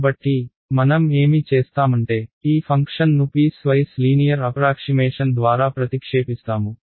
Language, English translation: Telugu, So, what I have done is I have replaced this function by piece wise linear approximation